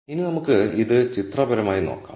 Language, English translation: Malayalam, Now let us look at this pictorially